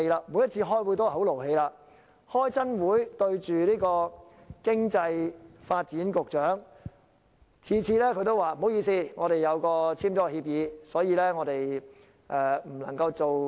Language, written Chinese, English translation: Cantonese, 我們每次開會都很動氣，每次開會對着商務及經濟發展局局長，他每次都說不好意思，他們簽了協議，所以很多事情不能夠做。, It is like an invisible spell . We were angry every time at the meeting . The Secretary for Commerce and Economic Development apologized at every meeting saying that the Government had been bound by the agreement not to do many things